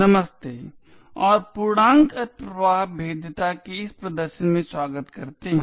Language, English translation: Hindi, Hello and welcome to this demonstration on integer overflow vulnerabilities